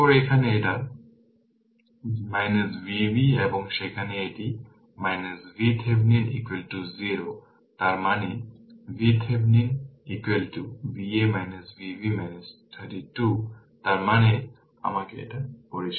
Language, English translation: Bengali, So, minus V b right and there it is minus V Thevenin is equal to 0 right; that means, V Thevenin is equal to V a minus V b minus 32 right so; that means, let me clear it